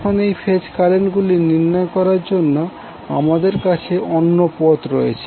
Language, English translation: Bengali, Now we have another way to obtain these phase currents